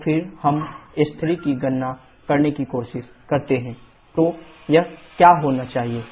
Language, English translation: Hindi, Then let us try to calculate S3, S2 is equal to S3 then it should be what